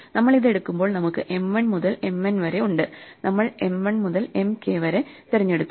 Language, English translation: Malayalam, So, when we take this, so we have M 1 to M n, so we have picked M 1 to M k